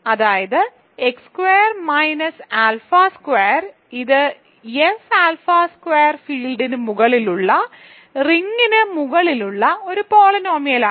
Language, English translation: Malayalam, Namely, X squared minus alpha squared, this is a polynomial in over the ring over the field F alpha squared right, because alpha squared is an element of F alpha squared